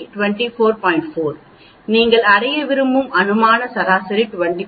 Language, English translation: Tamil, 4, the hypothetical mean you want to reach is 25